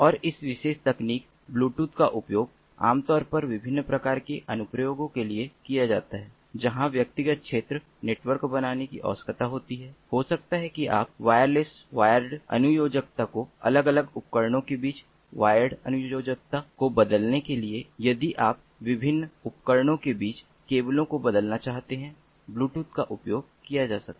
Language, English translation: Hindi, and this particular technology, bluetooth, is typically used for bit of different kind of applications, applications where it is required to form a personal area network, maybe to replace the wireless wired connectivity between the different devices wired connectivity